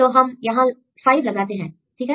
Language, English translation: Hindi, So, we put 5 here, fine